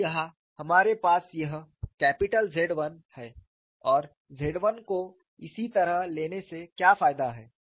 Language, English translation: Hindi, So, here we are having this capital Z 1 and what is the advantage by taking Z 1 in this fashion